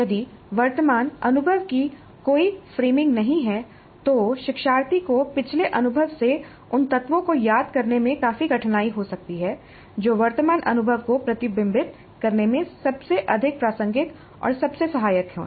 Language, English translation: Hindi, If there is no framing of the current experience, learner may have considerable difficulty in recalling elements from the previous experience that are most relevant and most helpful in reflecting on the current experience